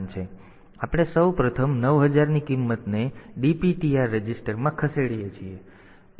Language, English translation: Gujarati, So, we first of all MOV the value 9000 to that dptr register ok